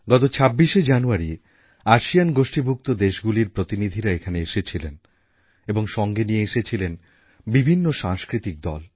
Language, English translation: Bengali, A while ago, when distinguished dignitaries of all ASEAN Countries were here on the 26th of January, they were accompanied by cultural troupes from their respective countries